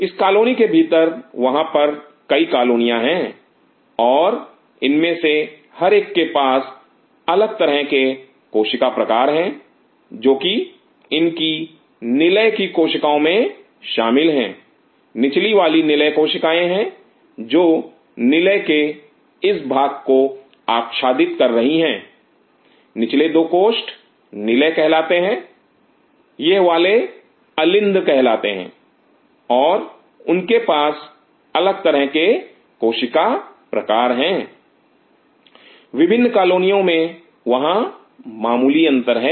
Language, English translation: Hindi, Within this colony there are multiple colonies and each one of these have different cells types which are involved in its ventricular cells this is the lower once are the ventricular cells, which are covering this part ventricles, the lower 2 chambers are called ventricles these are called auricles and they have different cells types, mild variations there are different colonies